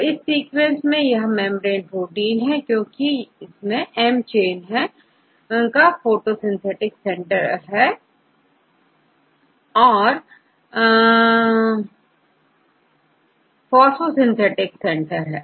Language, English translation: Hindi, So, in this case this chain could be membrane protein actually that is correct because this is the photosynthetic reaction center of m chain